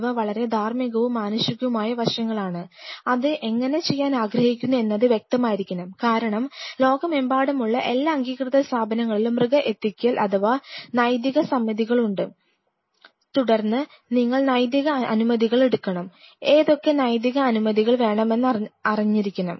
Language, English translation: Malayalam, These are very ethical and very human aspects which one has to be very clear and how really want to do it because then there are every institute across the world, recognized institutes have animal ethics committees then you have to take ethical clearances, you should know what all ethical clearances we needed to know